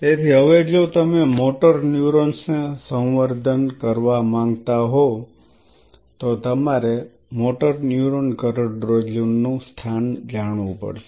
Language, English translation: Gujarati, So, now if you want to culture motor neurons you have to know the location of the motor neuron spinal cord motor neurons